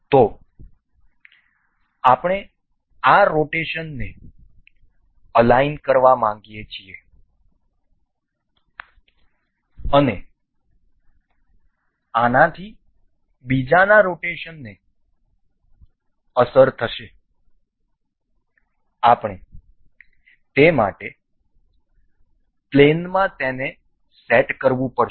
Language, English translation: Gujarati, So, what we intend to do is to align this rotation and this will impact the rotation of the other one for this, we have to set up you know them in a plane for that